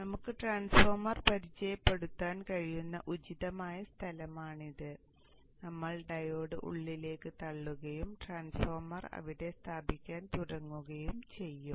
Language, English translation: Malayalam, This is an appropriate place where we can introduce the transformer and we will push the diode a bit inside and start placing the transformer there